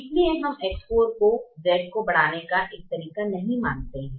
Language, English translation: Hindi, therefore we do not consider x four as a way to increase z